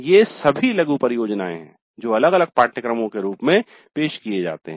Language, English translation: Hindi, These are all mini projects offered as separate courses